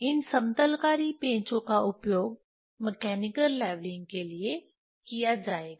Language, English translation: Hindi, This screws leveling screws will be used for the mechanical leveling